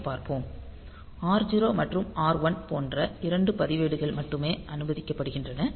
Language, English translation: Tamil, So, only the registers R0 and R1 can be used for this purpose